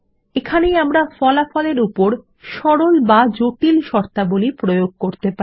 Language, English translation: Bengali, This is where we can limit the result set to a simple or complex set of criteria